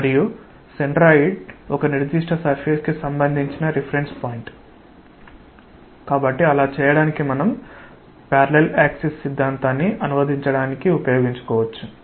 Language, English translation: Telugu, And because centroid is a reference point with respect to a particular surface; and to do that we may use the parallel axis theorem to translate it to c